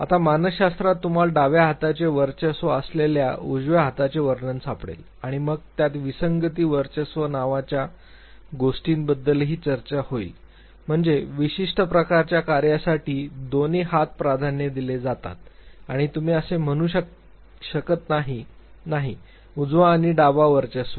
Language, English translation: Marathi, Now, in psychology you will find the description of dominant left hand, dominant right hand and then it also talks about something called anomalous dominance means for certain types of task both the hands are preferred and you cannot say that ‘no, right or left dominates’